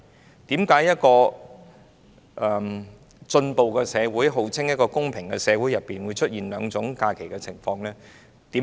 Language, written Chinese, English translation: Cantonese, 為甚麼一個進步並號稱公平的社會會出現兩種假期並存的情況？, Why would an advanced society which claims to be fair allow the co - existence of two types of holidays?